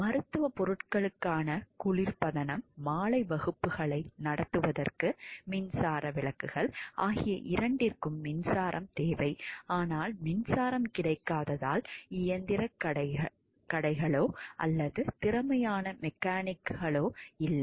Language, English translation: Tamil, Refrigeration for medical supplies an electric lights to hold evening classes both require electricity a small scale hydroelectric plant was feasible but because, electricity had not been available there were neither machine shops nor skilled mechanics